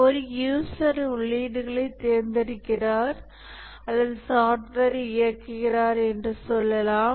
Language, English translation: Tamil, Let's say one user selects inputs or executes the software so that only the correct functionalities are executed